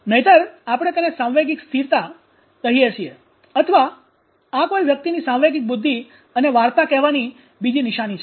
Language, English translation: Gujarati, do we call and otherwise we call it emotional stability or this is another sign of one’s emotional intelligence and storytelling